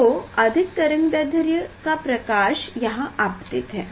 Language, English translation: Hindi, higher wavelength light is falling on this